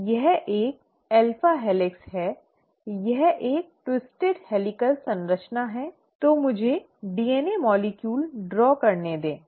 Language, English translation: Hindi, It is an alpha helix, it is a twisted helical structure and; so let me draw DNA molecule